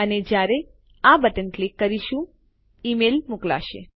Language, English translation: Gujarati, And when we click this button, the email will send